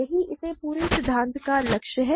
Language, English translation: Hindi, This is the goal of this whole theory